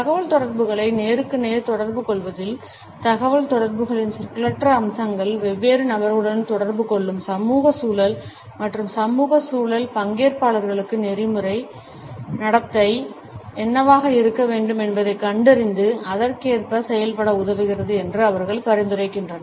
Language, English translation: Tamil, They suggest that in face to face communication, nonverbal aspects of communication establish is social context of interaction within which different people interact and the social context helps the participants to infer what should be the normative behaviour and perform accordingly